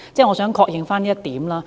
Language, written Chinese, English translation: Cantonese, 我想確認這一點。, I would like to confirm this point